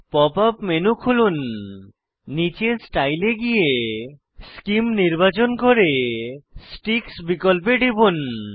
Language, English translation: Bengali, Open the Pop up menu, scroll down to Style , select Scheme and click on Sticks options